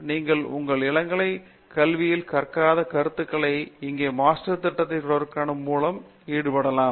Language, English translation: Tamil, And, whatever you did not learn in your undergraduate education for whatever reason, you can probably compensate for that by pursuing a Master's program here